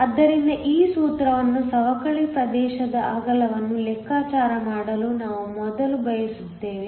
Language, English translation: Kannada, So, This formula is something we used before to calculate the width of the depletion region